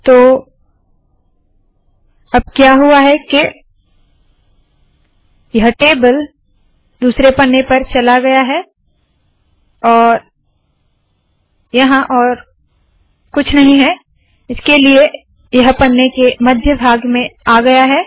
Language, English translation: Hindi, So now what has happened is this table has been floated to the second page and there is nothing else here so it has been placed at the middle of this page